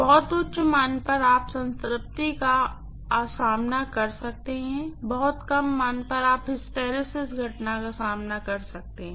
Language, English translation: Hindi, Very high values you may encounter saturation, very low values you may encounter hysteresis phenomena